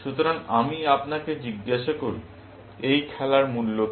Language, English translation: Bengali, So, let me ask you; what is the value of this game